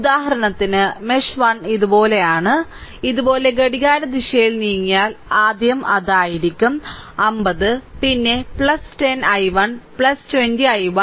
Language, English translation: Malayalam, For example, mesh 1 if I apply, so I moving like this, this clockwise moving like these, so it will be first minus 50 right, then your then plus 10 i 1 right plus 20 i 1 right